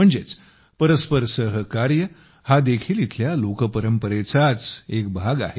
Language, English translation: Marathi, That is, mutual cooperation here is also a part of folk tradition